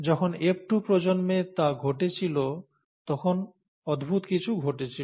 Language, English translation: Bengali, So when that happened, in the F2 generation, something strange happened